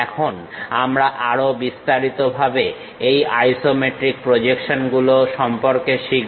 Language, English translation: Bengali, Now, we will learn more about this isometric projection in detail